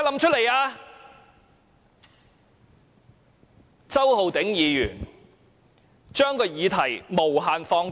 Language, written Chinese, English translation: Cantonese, 周浩鼎議員把議題無限放大。, Mr Holden CHOW has infinitely expanded the scope of this issue